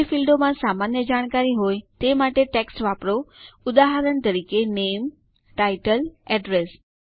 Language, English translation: Gujarati, Use text, for fields that have general information, for example, name, title, address